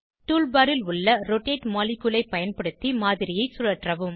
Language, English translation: Tamil, * Rotate the model using the rotate molecule in the tool bar